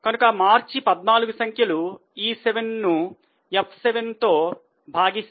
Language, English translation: Telugu, So, March 14 figure is calculated as E7 upon F7